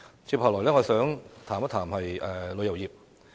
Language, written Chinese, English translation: Cantonese, 接下來，我想談談旅遊業。, Next I would like to talk about tourism